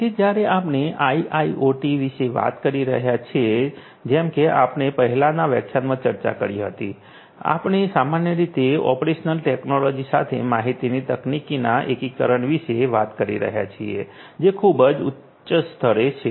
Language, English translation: Gujarati, So, when we talk about IIoT, as we discussed in a previous lecture we are typically at a very high level talking about the integration of information technology with operational technology